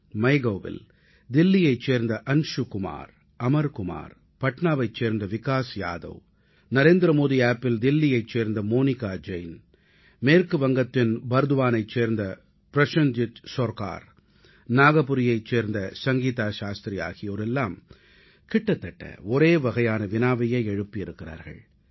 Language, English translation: Tamil, Anshu Kumar & Amar Kumar from Delhi on Mygov, Vikas Yadav from Patna; on similar lines Monica Jain from Delhi, Prosenjit Sarkar from Bardhaman, West Bengal and Sangeeta Shastri from Nagpur converge in asking a shared question